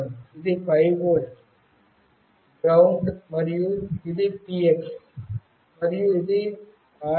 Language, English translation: Telugu, It has got this is 5 volt, ground, and this is the TX and this is the RX